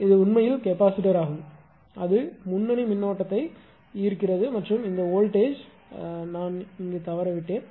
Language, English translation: Tamil, The it is actually capacitor it is leading current and this voltage I have missed it